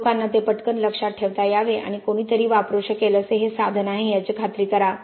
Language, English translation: Marathi, For people to remember it quickly and make sure that this is a tool that somebody can use